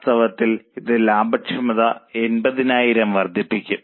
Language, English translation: Malayalam, 8, in fact, it will increase profitability further by 80,000